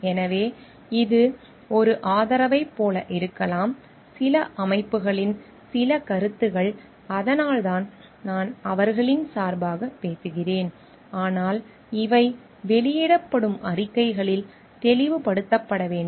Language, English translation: Tamil, So, it may be like a support, some views of certain organization that is why I am speaking on their behalf, but these should be clarified in the statements that is made